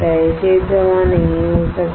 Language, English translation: Hindi, This area cannot get deposited